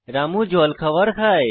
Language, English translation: Bengali, Ramu eats his breakfast